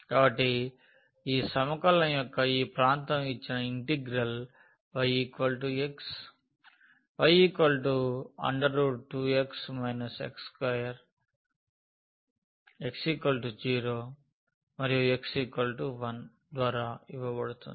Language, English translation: Telugu, So, this region of this integration the given integral is given by y is equal to x line